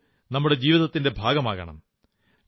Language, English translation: Malayalam, Sports should become a part of our lives